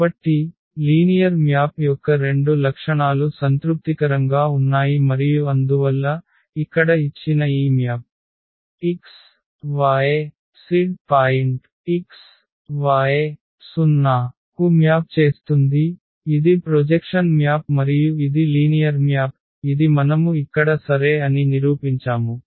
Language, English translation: Telugu, So, both the properties of the linear map a satisfied are satisfied and therefore, this given map here which maps the point x y z to x y 0; it is a projection map and that is linear map which we have just proved here ok